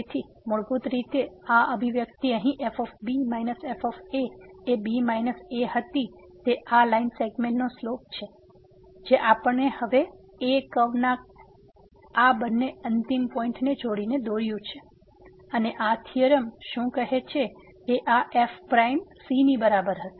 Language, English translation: Gujarati, So, basically this expression here minus were minus a is the slope of this line segment which we have drawn by meeting these two end points of the a curve and now, what this theorem says that this will be equal to prime